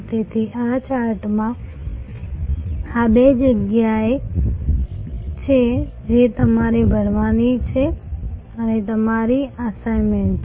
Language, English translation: Gujarati, So, these are two gaps in this chart that you have to fill and that is your assignment